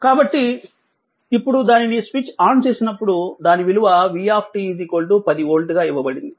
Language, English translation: Telugu, So, now when it is switching on it is a value has given 10 volt, v t right, it is a 10 volt